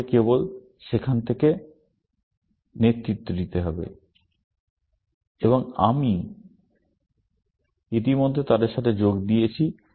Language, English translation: Bengali, I have to just take a lead from there, and I have already joined them together